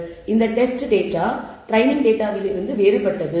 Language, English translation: Tamil, This test data is different from the training data